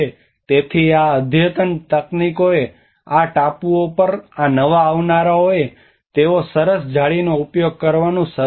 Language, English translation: Gujarati, So these advanced techniques these newcomers into these islands they started using the fine nets